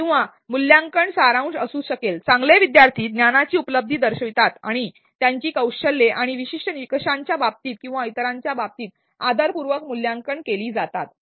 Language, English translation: Marathi, Or the assessment may be summative well learners demonstrate achievement of knowledge and are skills and evaluated with respect to certain standard or with respect to others